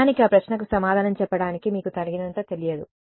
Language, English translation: Telugu, So, actually you do not know enough to answer that question